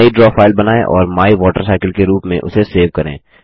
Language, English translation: Hindi, Create a new draw file and save it as MyWaterCycle